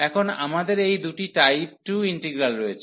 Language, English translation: Bengali, Now, we have these two integrals of type 2 integral